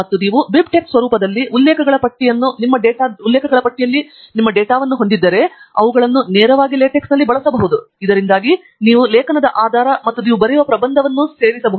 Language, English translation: Kannada, And if you have your data on the list of references in BibTeX format, then you can use them directly in LaTeX, so that you can add citations to the article or the thesis that you are writing